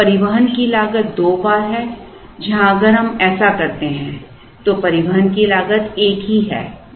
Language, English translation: Hindi, So, the cost of transportation is twice, where as if we do this the cost of transportation is single